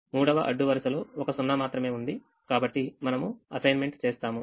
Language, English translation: Telugu, the third column has only one zero, so we will make an assignment here to do that